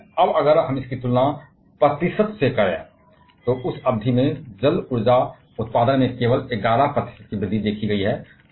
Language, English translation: Hindi, But now if we compare that from percentage, over which period hydro energy production has seen only an 11 percent increase